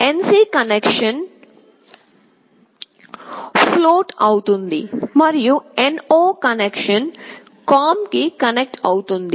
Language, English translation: Telugu, The NC connection becomes floating and the NO connection gets connected to COM